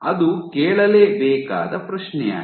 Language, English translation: Kannada, That is the question to be asked